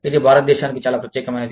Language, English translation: Telugu, This is something, that is very unique to India